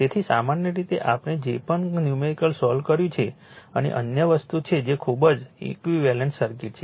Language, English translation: Gujarati, So, generally that whatever we solved the numericals and other thing that is ok but very equivalent circuit